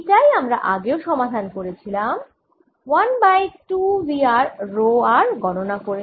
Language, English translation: Bengali, this is the problem we solved earlier by by calculating one half v r rho, r